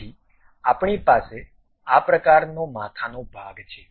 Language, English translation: Gujarati, So, we have such kind of head portion